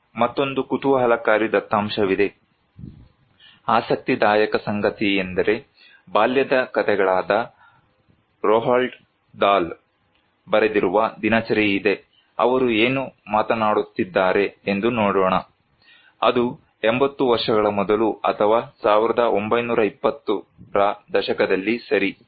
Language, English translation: Kannada, Here is another interesting data, interesting fact, there is a diary written as by Roald Dahl on BOY, the tales of childhood, let us look what he is talking about, it is maybe 80 years before or in 1920’s okay